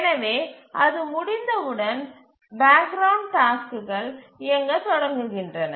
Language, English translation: Tamil, So as it completes, then the background tasks start running